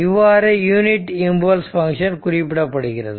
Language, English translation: Tamil, So, it is unit impulse function